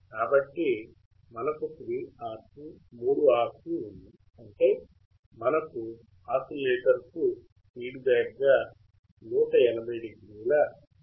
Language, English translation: Telugu, So, we had 3 RC; that means, we got 180 degree or phase shift, as a feedback to the oscillator